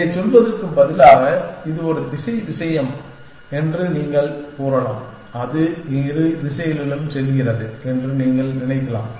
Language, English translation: Tamil, saying that, this is a one directional thing you can say that, you can think of it is going in both directions